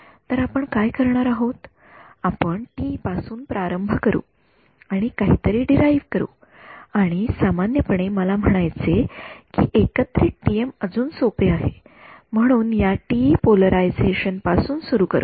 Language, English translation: Marathi, So, what we will do is we will start with TE and derive something, and generalize I mean the together TM is actually even easier o, so will start with this one TE polarization